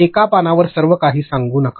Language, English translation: Marathi, Do not tell everything on one page